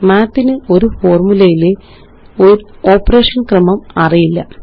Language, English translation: Malayalam, Math does not know about order of operation in a formula